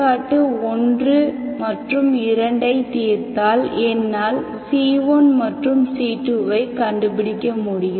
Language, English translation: Tamil, So if you solve 1 and 2, I can find my C1 and C2 satisfying these 2